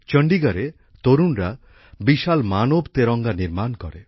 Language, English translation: Bengali, In Chandigarh, the youth made a giant human tricolor